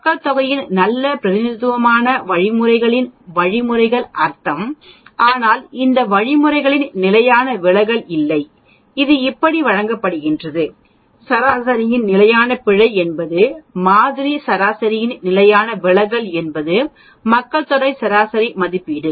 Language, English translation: Tamil, The means of the means which is a good representation of the population mean but the standard deviation of these means are not and it is given like this, the standard error of the mean is the standard deviation of the sample mean is estimate of a population mean